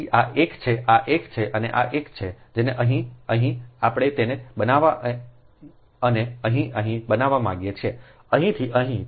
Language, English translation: Gujarati, so this is one, this is one and this is one right, and here to here we want to make it